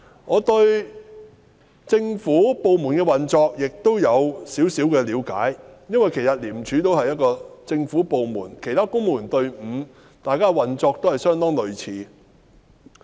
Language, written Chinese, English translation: Cantonese, 我對政府部門的運作有少許了解，因為廉署亦是一個政府部門，與其他公務員隊伍的運作相當類似。, I have a little knowledge about the operation of government departments because ICAC is also one which is operating in quite a similar manner to other civil service bodies